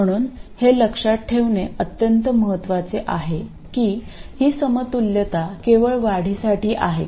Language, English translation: Marathi, So, it's extremely important to remember that this equivalence is only for the increments